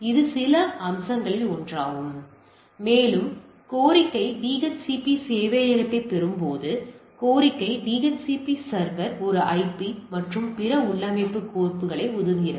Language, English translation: Tamil, So, that is one of the aspects and on receiving the request DHCP server; the request the DHCP server allocate a IP and other configuration files right